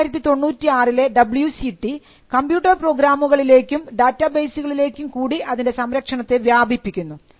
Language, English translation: Malayalam, So, the 1996 WCT extended the protection of copyright to two subject matters computer programs and data bases